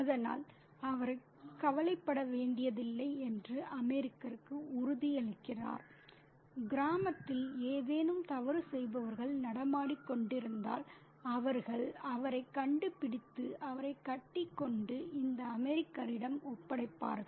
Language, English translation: Tamil, So, he assures the American that he doesn't have to worry if they find any bad guy hanging about in the village, they will make sure to find him and tie him up and hand him over to this American